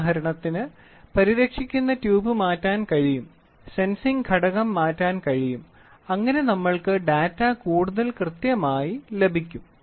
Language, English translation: Malayalam, For example, the protecting tube can be changed the sensing element whatever it is there this can be changed, so that we try to get the data more accurate